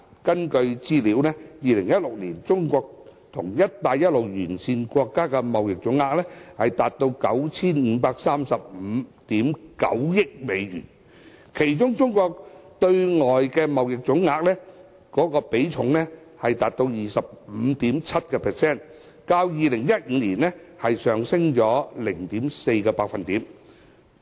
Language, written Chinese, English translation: Cantonese, 根據資料 ，2016 年中國跟"一帶一路"沿線國家的貿易總額達到 9,535 億 9,000 萬美元，其中中國對外的貿易總額，比重達到 25.7%， 較2015年上升 0.4%。, Statistics indicate that the total value of trade between China and Belt and Road countries reached US953.59 billion in 2016 which accounted for 25.7 % of Chinas total foreign trade volume representing a rise of 0.4 % from 2015